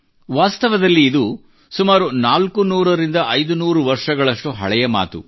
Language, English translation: Kannada, Actually, this is an incident about four to five hundred years ago